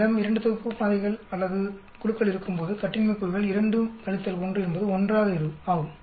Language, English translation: Tamil, When we have 2 sets of samples or groups here the degrees of freedom is 2 minus 1 is 1